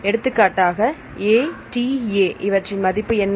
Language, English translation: Tamil, So, what is the value for ATA